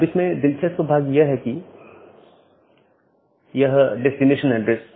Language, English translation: Hindi, Here the interesting part is that, this destination address